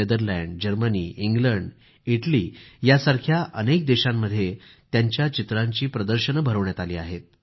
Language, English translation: Marathi, He has exhibited his paintings in many countries like Netherlands, Germany, England and Italy